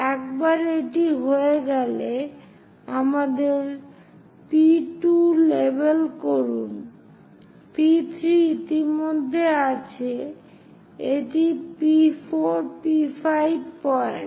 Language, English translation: Bengali, Once it is done, label them P 2, P 3 is already there, this is P 4, P 5 points